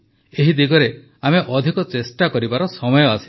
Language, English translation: Odia, Now is the time to increase our efforts in this direction